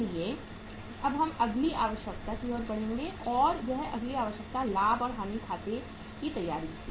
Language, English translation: Hindi, So now we will move to the next requirement and that next requirement was preparation of the profit and loss account